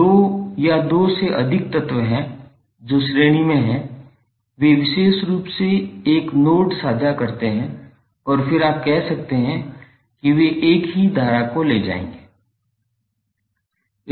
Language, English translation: Hindi, Now there are two or more elements which are in series they exclusively share a single node and then you can say that those will carry the same current